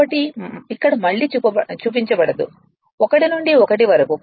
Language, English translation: Telugu, So, here it is not shown again 1 is to 1 right